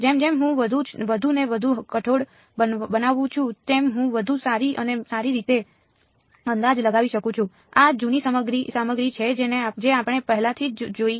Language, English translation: Gujarati, As I make more and more pulses I can approximate better and better right this is the old stuff we have already seen this ok